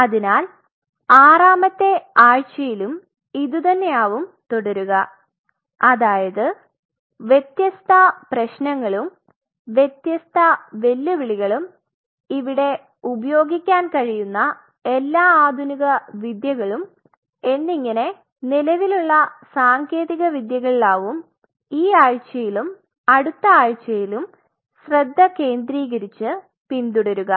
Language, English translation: Malayalam, So, on the week 6 we will continue with that and the different issues different challenges and what all modern techniques what we can use and as a matter of fact, this week as well as the next week we will concentrate on some of these current technologies which are being followed